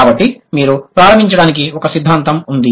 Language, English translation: Telugu, So you have a theory to begin with